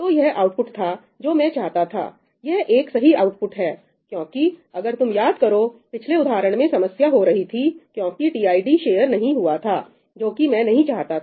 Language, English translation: Hindi, So, this is the output that I wanted to get, right, it is a correct output; why ñ because, if you recall, in the last example the problem was happening because tid ended up being shared, right, that is not something I wanted